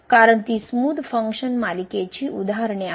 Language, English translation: Marathi, Because they are examples of smooth function series